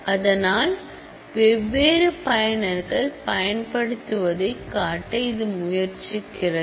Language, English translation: Tamil, So, it is trying to show what different users use